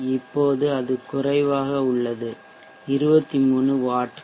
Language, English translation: Tamil, Now it is lower somewhere around 23 vats